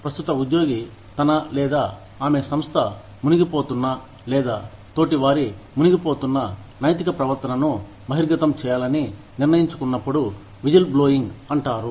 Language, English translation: Telugu, Whistleblowing is, when a current employee, decides to reveal unethical behavior, that his or her organization is indulging in, or peers are indulging in, etcetera